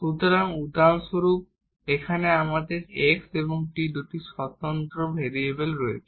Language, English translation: Bengali, So, for instance here we have two independent variables the x and t and this we depends on two variables here x and t